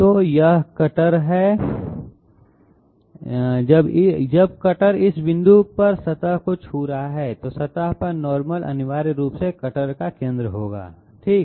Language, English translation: Hindi, So this is the cutter, when the cutter is touching the surface at this point the normal to the surface will essentially contain the centre of the cutter okay